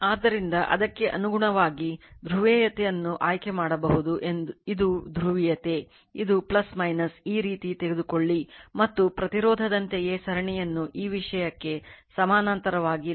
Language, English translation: Kannada, So, accordingly you can choose the polarity this is your this is your this is your polarity, this is plus minus this way you take right and same as resistance you simply, calculate the series parallel this thing